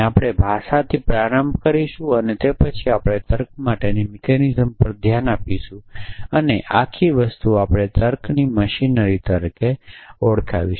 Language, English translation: Gujarati, So, will start off with the language and then we look at the mechanism for reasoning and this whole thing we will called as a machinery of logic